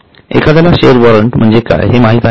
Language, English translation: Marathi, Does anybody know what is a share warrant